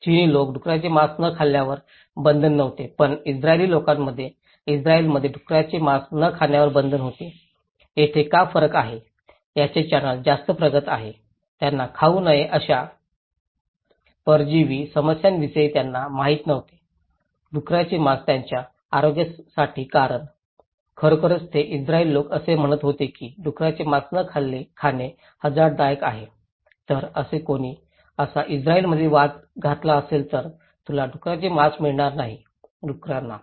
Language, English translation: Marathi, There was no restrictions for Chinese people not eating pork but in Israeli, in Israel there was the restrictions of not eating pork, why there is a difference, his channel is much advanced, they didnít know about these parasite issues that not to eat pork for their health reason, is it really the health reason thatís why the Israeli people saying that do not eat pork is risky, then somebody who was arguing that may be in Israel, you would not get pork; pigs